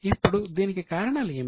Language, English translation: Telugu, Now, what were the reasons